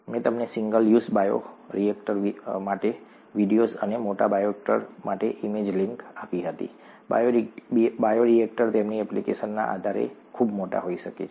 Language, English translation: Gujarati, I had given you a video for a single use bioreactor and an image link for a large bioreactor, bioreactors can be very large depending on their application